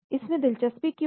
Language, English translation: Hindi, Why there is an interest